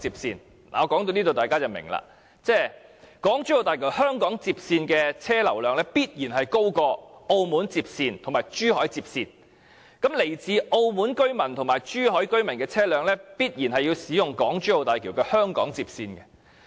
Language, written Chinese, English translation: Cantonese, 說到這一點，相信大家也明白，就是港珠澳大橋香港接線的車流量，必然會高於澳門接線和珠海接線，因為來自澳門和珠海居民的車輛，必定要使用港珠澳大橋香港接線的。, Concerning this point I believe everyone understands and that is that the traffic volume on the HKLR of the HZMB will surely be larger than those on the Macao link road and Zhuhai link road because the vehicles from Macao and Zhuhai must use the HKLR of the HZMB